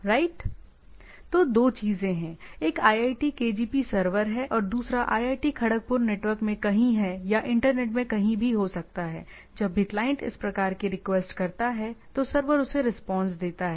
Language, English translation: Hindi, So, there are two things that are the iitkgp server, which is which is there in somewhere in IIT Kharagpur network or somewhere in the internet will respond back once the client this type of request is there